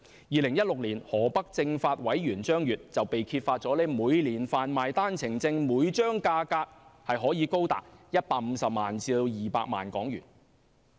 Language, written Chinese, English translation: Cantonese, 2016年河北政法委員張越被揭發每年販賣單程證每張價格高達150萬港元至200萬港元。, In 2016 Secretary of the Political and Legal Affairs Commission of Hebei Province was found selling OWPs with a price tag of each OWP at HK1.5 million to HK2 million